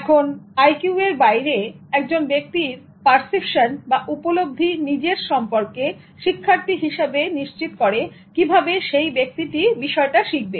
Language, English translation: Bengali, Now, apart from this IQ, one's perception about oneself as a learner determines the way a person learns a subject